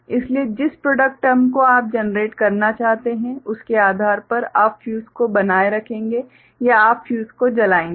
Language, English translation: Hindi, So, depending on the kind of product term you want to generate ok so, you will retain the fuse or you will burn the fuse right